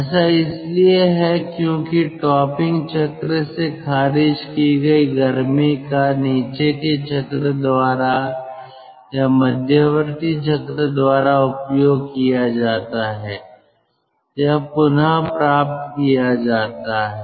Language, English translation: Hindi, because the heat which is rejected from the topping cycle is taken by, is utilized by, is recovered by the bottoming cycle or by the intermediate cycle